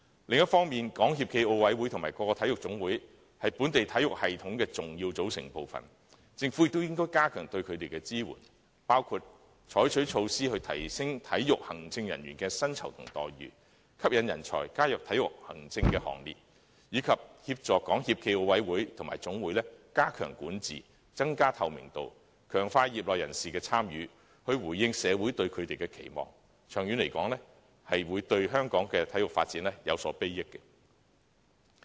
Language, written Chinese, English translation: Cantonese, 另一方面，中國香港體育協會暨奧林匹克委員會和各個體育總會，是本地體育系統的重要組成部分，政府應加強對它們的支援，包括採取措施提升體育行政人員的薪酬和待遇，吸引人才加入體育行政的行列，以及協助港協暨奧委會及各總會加強管治，增加透明度，強化業內人士的參與，以回應社會對它們的期望；長遠來說，對香港的體育發展也有裨益。, On the other hand given that the Sports Federation and Olympic Committee of Hong Kong China SFOC and various national sports associations are major components of the local sports system the Government should enhance support for them by for instance adopting measures to enhance the remunerations and treatment of sports administrative personnel attract talents to join the ranks of sports executives and assist SFOC and various national sports associations in enhancing governance increasing transparency and strengthening the participation of practitioners in response to social expectations on them . In the long run sports development in Hong Kong will be benefited too